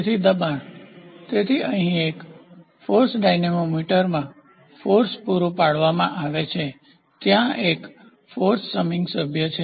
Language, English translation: Gujarati, So, pressure; so, in a force dynamometer here force is supplied based upon the force, there is a force summing member